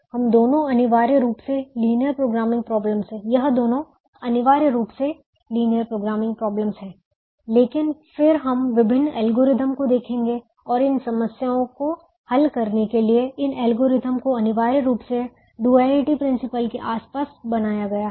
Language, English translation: Hindi, both of them are essentially linear programming problems, but then we will look at different algorithms and these algorithms to solve this problems are essentially built around the duality principal